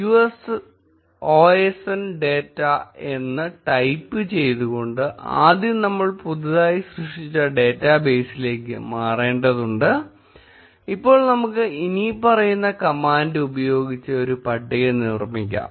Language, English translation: Malayalam, We will first need to switch to the newly created database by typing use osn data and now we will create a table using the following command